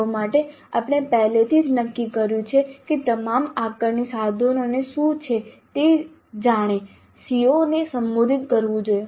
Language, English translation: Gujarati, For a CO we already have decided what are the assessment instruments which should address that CO